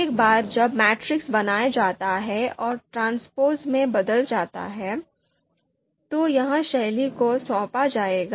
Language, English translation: Hindi, So once this matrix is created and converted into a transpose, this is going to be assigned into this you know style